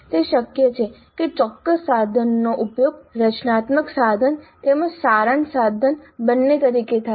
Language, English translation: Gujarati, It is possible that a particular instrument is used both as a formative instrument as well as summative instrument